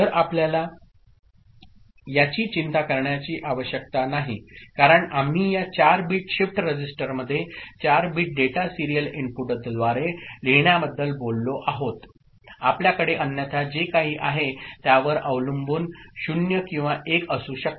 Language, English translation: Marathi, So, you do not need to bother about that because we have talked about writing a 4 bit data into this 4 bit shift register through serial input, this is what we want to consider otherwise it could be 0 or 1 depending on whatever is there ok